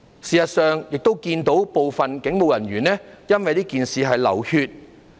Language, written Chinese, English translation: Cantonese, 事實上，我們亦看到部分警務人員因為這事件而流血。, In fact we can also see that some police officers shed blood in this incident